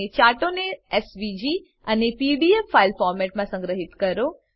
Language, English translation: Gujarati, Save the charts in SVG and PDF file formats